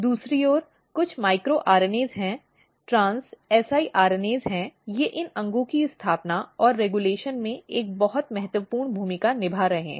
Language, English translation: Hindi, On the other hand there are some of the micro RNAs, trans siRNAs they are also playing a very important role in establishing and regulating, polarity in these organs